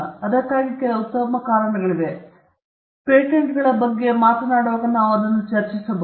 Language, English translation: Kannada, And there are some sound reasons for that, when we come to the issue of patents in detail we can discuss that